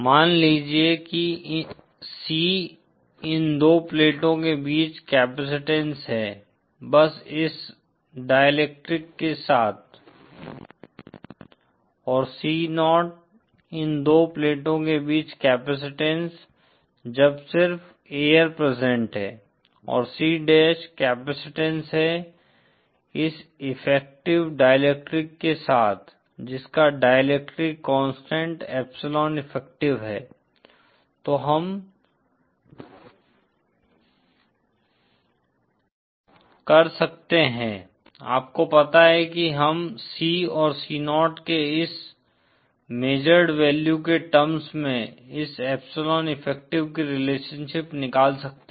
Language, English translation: Hindi, Is suppose C is the capacitance between these two plates, with just this dielectrics present and C 0 is the capacitance between these two plates with air present and C dash is the capacitance with, with this effective dielectric with dielectric material having epsilon effective present, then we can, you know we can find out a relationship for this epsilon effective, in terms of this measured values of C and C0